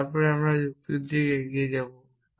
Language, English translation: Bengali, and then move on to logic